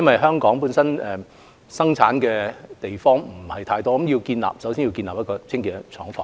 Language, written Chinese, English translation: Cantonese, 香港能夠生產的地方不多，所以首先要建立清潔的廠房。, Since not many places in Hong Kong are available for the production of face masks the first task is to set up a clean factory